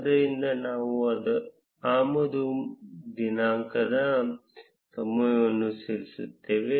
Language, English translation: Kannada, So, we would write import date time